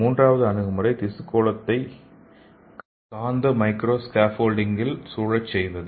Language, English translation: Tamil, And third approach is encaging the tissue spheroid in magnetic micro scaffolds